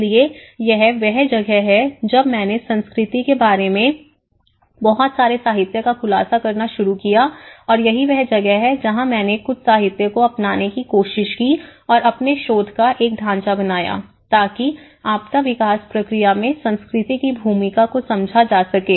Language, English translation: Hindi, So, this is where when I started revealing a lot of literature on what is culture and that is where I try to adopt certain literatures and made a framework in my research, in order to understand the role of culture, in the disaster development process